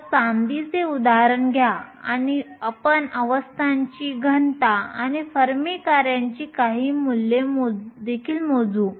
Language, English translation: Marathi, So, will take the example of silver and you will calculate the density of the states and also some values of the Fermi function